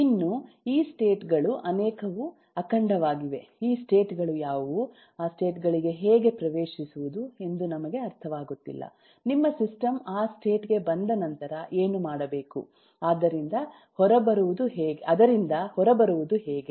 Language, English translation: Kannada, we just do not understand what these states are, how to enter into those states, what to do once your system gets into that state, how to get out of that